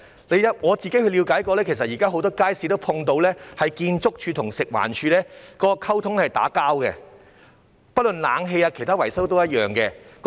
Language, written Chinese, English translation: Cantonese, 據我了解，現時很多街市都遇到建築署和食環署的溝通出現"打架"的情況，不論在冷氣和其他維修方面都一樣。, According to my understanding many markets are now experiencing a fight in communication between ArchSD and FEHD both in respect of air - conditioning and other maintenance issues